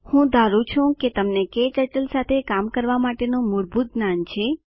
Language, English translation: Gujarati, We assume that you have basic working knowledge of KTurtle